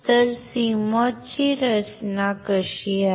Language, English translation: Marathi, So, here this is how the CMOS is designed